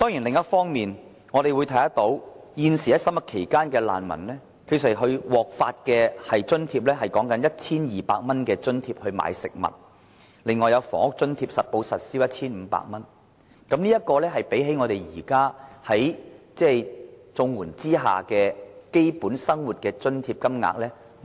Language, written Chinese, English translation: Cantonese, 另一方面，難民現時在審核期間，獲得的食物津貼只有 1,200 元，還有實報實銷的房屋津貼 1,500 元，低於現時綜援計劃所提供的基本生活津貼金額。, On the other hand refugees merely receive 1,200 dollars for food each month when their claims are pending and an accountable rent allowance of 1,500 dollars each month lower than the standard rates under the Comprehensive Social Security Assistance Scheme